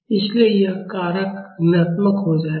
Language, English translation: Hindi, So, this factor will become negative